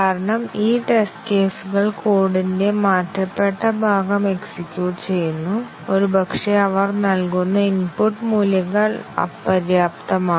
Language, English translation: Malayalam, Because, these test cases were executing the changed part of the code and possibly, the input values they were giving was inadequate